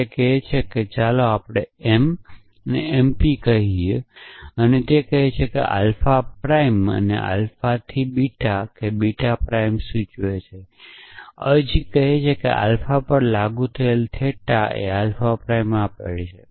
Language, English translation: Gujarati, It says that let us say m, m p and it says that from alpha prime and alpha implies beta, beta prime where, a substitution let us say theta applied to alpha gives alpha prime